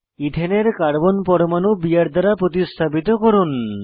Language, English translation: Bengali, Replace one Carbon atom of Ethane with Br